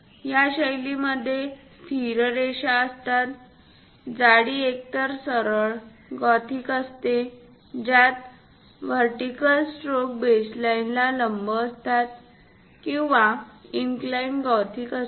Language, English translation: Marathi, This style supposed to consist of a constant line, thickness either straight gothic with vertical strokes perpendicular to the base line or inclined gothic